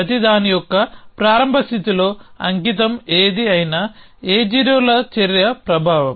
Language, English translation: Telugu, Whatever the dedicates in the start state of everything is a effect of the A 0 actions